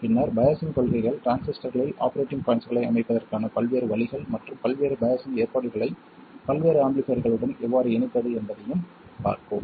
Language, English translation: Tamil, Then we will also look at biasing principles, different ways of setting up operating points in a transistor and also how to combine a variety of biasing arrangements with a variety of amplifiers